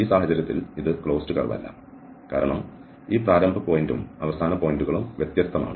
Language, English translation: Malayalam, In this case it is not a closed curve because these initial point and the end points they are different